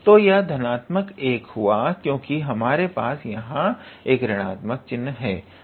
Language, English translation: Hindi, So, this is basically plus 1, because we have a minus here